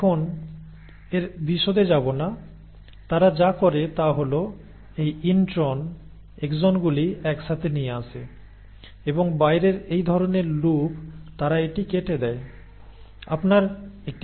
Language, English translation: Bengali, Now do not get into the details of it, what they do is they bring in these intros, the exons together and the kind of loop out and they cut it